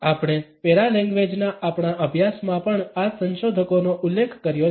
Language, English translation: Gujarati, We have referred to these researchers in our studies of paralanguage also